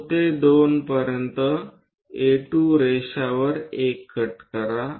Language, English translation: Marathi, From O to 2 make a cut on A2 line